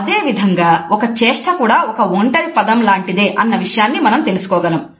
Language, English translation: Telugu, In the same way we find a gesture is like a single word